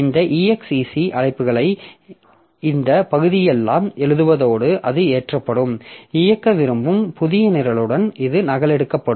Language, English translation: Tamil, So what it will do this exec exec also it will override all this portion and it will be loading, it will be copied by with a new program that we want to execute